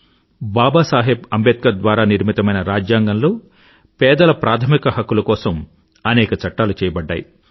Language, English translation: Telugu, Baba Saheb Ambedkar, many provisions were inserted to protect the fundamental rights of the poor